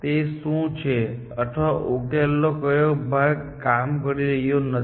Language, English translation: Gujarati, What is, or which part of the solution is not working